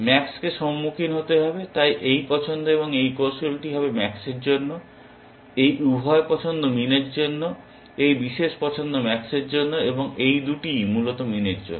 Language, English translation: Bengali, Max has to encounter so, so this strategy would be this choice for max, both these choices for min, this particular choice for max, and both these for min essentially